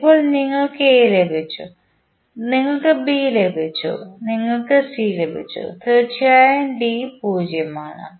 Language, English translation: Malayalam, Now, you have got A, you have got B and you have got C of course D is 0